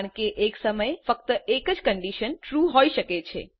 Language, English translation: Gujarati, It is because only one condition can be true at a time